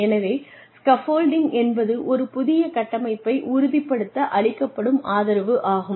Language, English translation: Tamil, So, scaffolding is the support, that one gives, in order to, stabilize a new structure